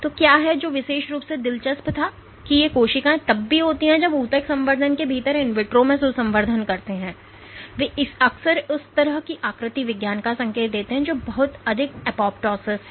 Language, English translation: Hindi, So, what is what was particularly interesting is these cells even when the cultured in vitro within the tissue culture, they often have this kind of morphology indicative of much higher apoptosis